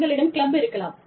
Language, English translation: Tamil, You could have a club